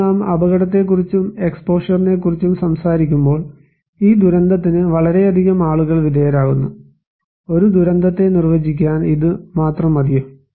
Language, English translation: Malayalam, Now, when we are talking about hazard and exposure so, if we say that okay, this much of people are exposed to this disaster, is it enough to define a disaster